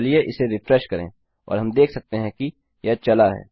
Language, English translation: Hindi, Lets refresh that and we can see that it worked